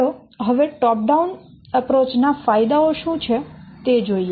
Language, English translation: Gujarati, Let's see what are the advantages of top down approach